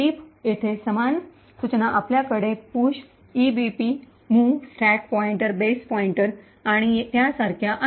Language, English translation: Marathi, Note, the same instructions over here you have push EBP, mov stack pointer base pointer and so on